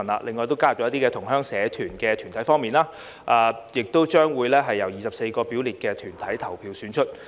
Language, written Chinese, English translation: Cantonese, 另外，在新加入如同鄉社團團體選民方面，選委將會由24個列明團體投票選出。, In addition as regards new corporate voters such as associations of Chinese fellow townsmen EC members will be elected by 24 specified bodies